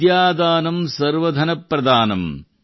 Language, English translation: Kannada, Vidyadhanam Sarva Dhanam Pradhanam